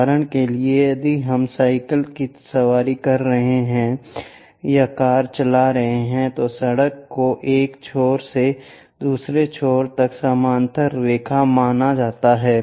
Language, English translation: Hindi, For example, if we are riding a bicycle or driving a car, the road is supposed to be a parallel lines from one end to other end